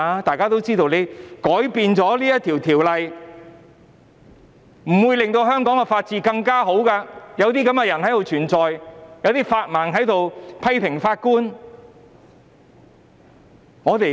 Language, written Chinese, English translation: Cantonese, 大家皆知道，即使修訂《條例》，亦不會令香港的法治情況改善，因為有這些人繼續存在，有"法盲"批評法官。, As Members all know even if the Ordinance is amended the rule - of - law situation in Hong Kong will not show any improvement because there are all such people around and such legally illiterate people dare to criticize our judges